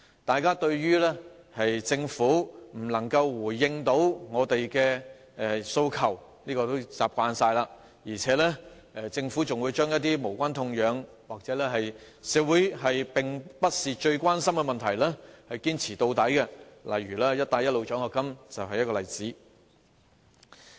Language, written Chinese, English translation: Cantonese, 大家已習慣政府不能回應我們的訴求，而且還會將一些無關痛癢或並非社會最關心的問題堅持到底，"一帶一路"獎學金就是一例。, We have got used to the Governments failure to answer our aspirations . Moreover it will stick to its stand on unimportant issues or those which are not the greatest concerns in society . A case in point is the Belt and Road scholarship